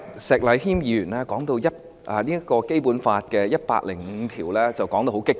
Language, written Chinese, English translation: Cantonese, 石禮謙議員剛才提到《基本法》第一百零五條時，說得相當激動。, Mr Abraham SHEK was rather emotional when he mentioned Article 105 of the Basic Law earlier on